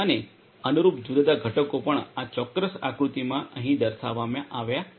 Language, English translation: Gujarati, And the corresponding different components are also shown over here in this particular figure